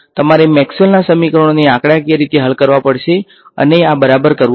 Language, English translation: Gujarati, You have to solve Maxwell’s equations numerically and get this ok